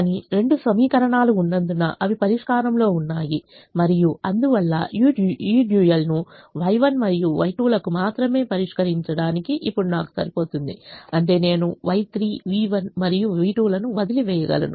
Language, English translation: Telugu, but since there are two equations, they are in the solution and therefore it is now enough for me to solve this dual only for y one and y two, which means i can leave out y three, v one and v two